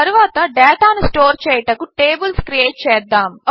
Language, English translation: Telugu, Next, let us create tables to store data